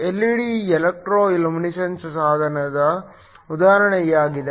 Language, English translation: Kannada, An LED is an example of an electro luminescence device